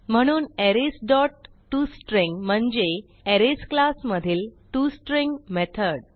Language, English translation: Marathi, So Arrays dot toString means toString method from the Arrays class